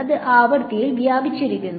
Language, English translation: Malayalam, Very large; it is spread out in frequency